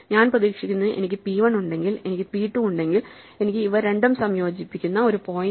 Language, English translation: Malayalam, So, what we would expect that if I had p 1 and if I had p 2 then I would get something which gives me a point where I combine these two